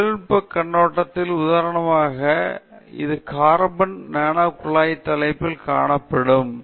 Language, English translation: Tamil, From a technical perspective, for example, this is carbon nanotube seen head on